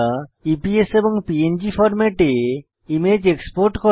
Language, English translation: Bengali, Export the image as EPS and PNG formats